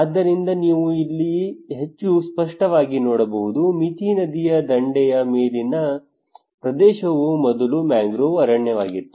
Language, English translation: Kannada, So you can see here more clearly that is encroached land on the settlement on Mithi riverbank it was earlier a mangrove forest